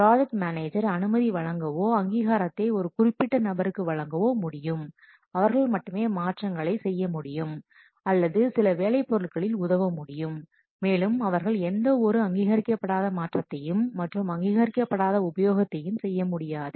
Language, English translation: Tamil, The project manager can give permission, can give authorization to some specific members who will be able to change or assess the specific work products and others they cannot make any unauthorized change or any unauthorized access